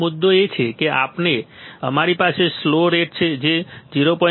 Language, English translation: Gujarati, So, the point is that we have slew rate which is 0